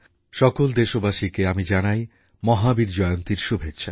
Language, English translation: Bengali, I extend felicitations to all on the occasion of Mahavir Jayanti